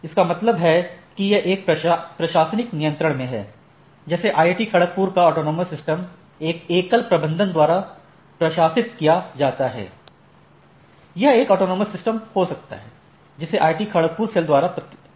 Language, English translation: Hindi, That means, it is under one administrative control and it is administered by a single management authority like IIT Kharagpur, can be a autonomous systems which is managed by the IIT Kharagpur authority or the cell which is handling those thing